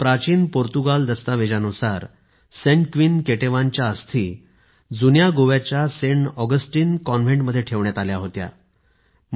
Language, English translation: Marathi, According to an ancient Portuguese document, the mortal remains of Saint Queen Ketevan were kept in the Saint Augustine Convent of Old Goa